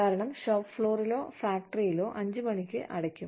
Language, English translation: Malayalam, Why, because the shop floor would, in a factory, would probably close at 5 o'clock